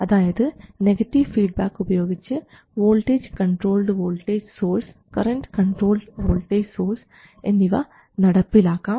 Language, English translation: Malayalam, We have seen how to make a voltage controlled voltage source as well as a current controlled voltage source